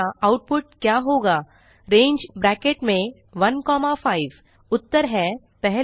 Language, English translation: Hindi, What will be the output of range within brackets 1,5 Now, the answers, 1